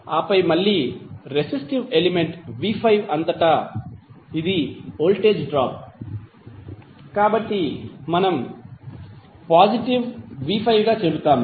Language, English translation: Telugu, And then again across resistive element v¬5 ¬it is voltage drop so we will say as positive v¬5¬